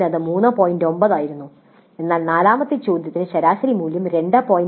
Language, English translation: Malayalam, 9 but for fourth question the average value is only 2